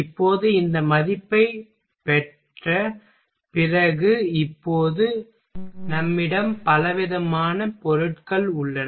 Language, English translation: Tamil, Now after getting these value now we have a variety of materials